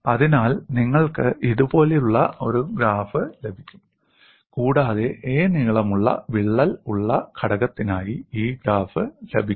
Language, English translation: Malayalam, So, you can get a graph like this, and this graph is obtained for the component having a crack of length a